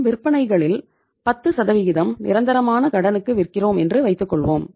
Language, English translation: Tamil, You are selling say 20%, 10% of your sales are permanently on credit